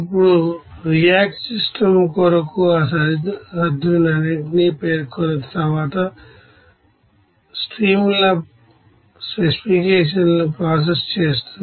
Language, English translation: Telugu, Now for a reacting system then after mentioning all those you know boundaries even processes streams specifications there